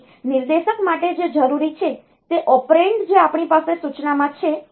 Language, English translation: Gujarati, So, for pointer what is required is that the operand that we have in the instruction